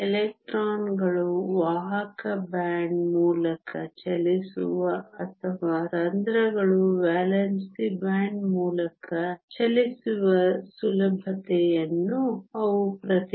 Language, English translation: Kannada, The current is because the electrons move in the conduction band and the holes move in the valence band